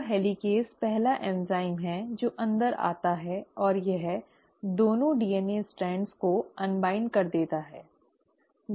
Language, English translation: Hindi, So the helicase is the first enzyme which comes in and it causes the unwinding of the 2 DNA strands